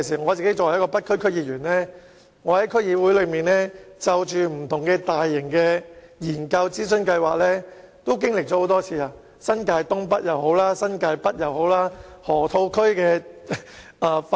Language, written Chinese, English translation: Cantonese, 我作為北區區議員，曾在區議會經歷多次不同的大型研究和諮詢計劃，包括新界東北、新界北和河套區發展。, As a member of the North District Council I have participated in numerous large - scale studies and consultations in the District Council involving the developments of North East New Territories and New Territories North and the Loop